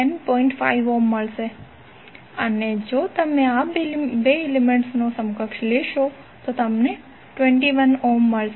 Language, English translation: Gujarati, 5 ohm and again if you take the equivalent of these 2 elements, you will get 21 ohm